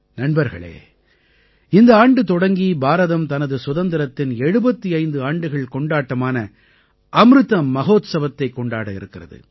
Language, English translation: Tamil, this year, India is going to commence the celebration of 75 years of her Independence Amrit Mahotsav